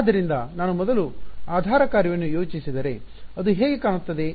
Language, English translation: Kannada, So, if I plot the first basis function what does it look like